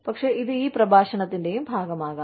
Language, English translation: Malayalam, But, this can also be, a part of this lecture